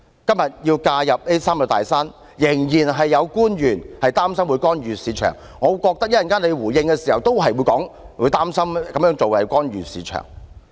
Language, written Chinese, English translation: Cantonese, 今天要介入這"三座大山"，仍然有官員擔心會干預市場，我認為政府稍後在回應時也會說擔心這樣做會干預市場。, Nowadays when we want to intervene in these three big mountains some officials are still worried about intervention in the market and I believe the Government when giving its response later on will also say that doing so will interfere with the market